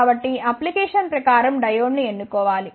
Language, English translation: Telugu, So, one should choose the diode according to the application